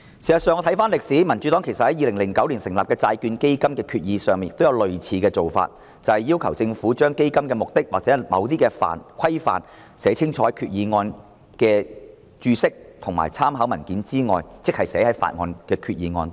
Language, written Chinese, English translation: Cantonese, 事實上，回看歷史，民主黨在2009年就成立債券基金的決議案，亦要求政府把基金的目的或規範清楚地在決議案內寫明，而非只在決議案的註釋及參考文件內解釋。, Actually recapping some history in the debate on the Resolution for the establishment of the Bond Fund in 2009 the Democratic Party also requested the Government to clearly indicate in the Resolution the purpose or scope of the fund instead of in the Explanatory Note and information paper only